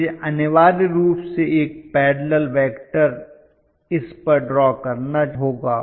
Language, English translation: Hindi, So I have to essentially draw a parallel vector to this